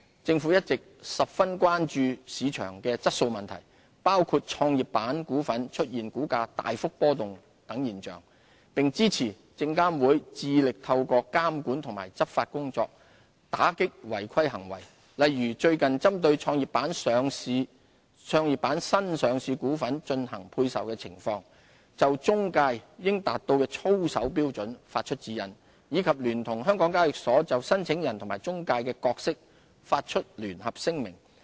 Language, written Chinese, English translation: Cantonese, 政府一直十分關注市場質素問題，包括創業板股份出現股價大幅波動等現象，並支持證監會致力透過監管及執法工作，打擊違規行為，例如最近針對創業板新上市股份進行配售的情況，就中介應達到的操守標準發出指引，以及聯同香港交易所就申請人及中介的角色發出聯合聲明。, The Government has always been very concerned about market quality issues such as high price volatility of Growth Enterprise Market GEM stocks . We always support SFCs monitoring and law enforcement efforts in combating wrongdoings . For instance with regard to GEM IPO placings SFC has recently issued a set of guidelines on the expected standards of conduct of intermediaries and a joint statement with HKEx regarding the roles of applicants and intermediaries